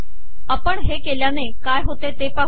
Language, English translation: Marathi, Let us see what happens when we do that